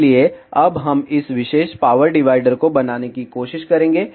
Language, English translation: Hindi, So, now we will try to make this particular power divider